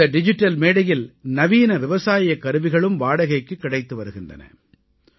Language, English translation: Tamil, Modern agricultural equipment is also available for hire on this digital platform